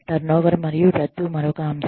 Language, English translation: Telugu, Turnover and termination is another one